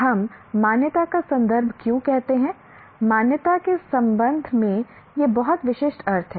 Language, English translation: Hindi, Why we say context of accreditation is these have very specific meanings with regard to the accreditation